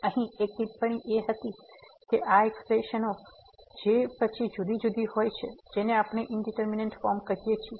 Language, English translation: Gujarati, So, there was a remark here that these expressions which are different then these which we are calling indeterminate forms